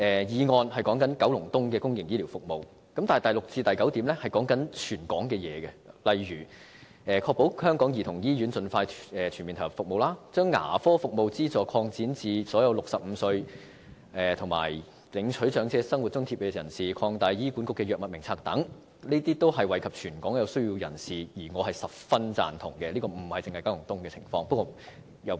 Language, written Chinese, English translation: Cantonese, 議案的題目是九龍東的公營醫療服務，但第六至九點卻是關乎全港的內容，例如確保香港兒童醫院盡快全面投入服務、擴展牙科服務資助項目至所有65歲或以上領取長者生活津貼的長者、擴大醫管局《藥物名冊》等，這些均能惠及全港有需要人士，我是十分贊同的。, While the motion title is public healthcare services in Kowloon East items 6 to 9 are about territory - wide measures such as ensuring that the Hong Kong Childrens Hospital will be fully commissioned as soon as possible expanding the Dental Assistance Programme to cover all elderly persons who are Old Age Living Allowance recipients aged 65 or above expanding the Drug Formulary of HA etc . I fully support all of these which can benefit people in need across the territory